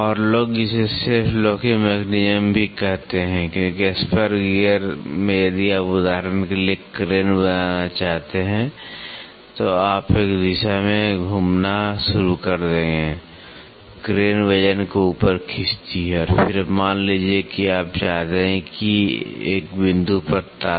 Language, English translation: Hindi, And, people call also call it as a self locking mechanism, because in a spur gear if you want to a make crane for example, so, you would start rotating in one direction, the crane pulls the weight up and then suppose you want to lock at one point